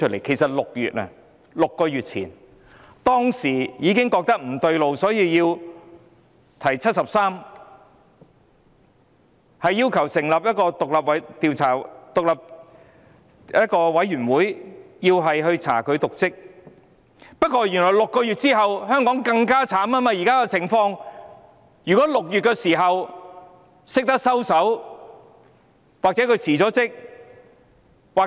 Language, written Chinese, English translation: Cantonese, 其實在6月——即6個月前——當時大家已感到不對勁，因此要求根據《基本法》第七十三條，成立獨立調查委員會，以調查"林鄭"有否瀆職，但原來在6個月後，香港的情況變得更慘。, In fact in June―that is six months ago―all people could feel that something was not quite right . For this reason it was demanded that an independent commission of inquiry be established in accordance with Article 73 of the Basic Law to investigate if Carrie LAM has committed dereliction of duty but as it turned out six months down the line the situation in Hong Kong has become even more miserable